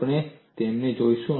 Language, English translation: Gujarati, We would look at them